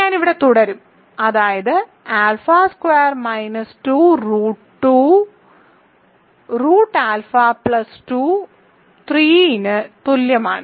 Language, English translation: Malayalam, I will continue here that means, alpha squared minus 2 root 2 root alpha plus 2 is equal to 3